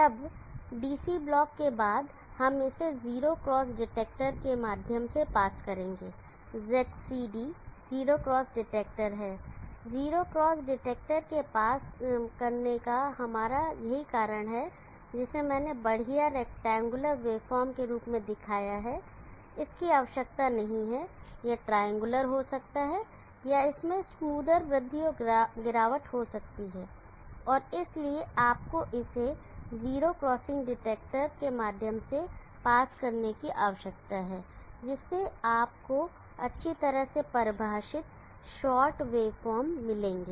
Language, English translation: Hindi, Then after we DC block we will pass it through the 0 pass detector XCD is the 0 cross detector, the reason that we pass through the 0 cross detector is that what I have shown as an iso rectangular wave form need not be it can be triangular or it can have smoother rise and fall, and therefore, you need to pass it through a 0 crossing detector, so that you will get well defined short wave forms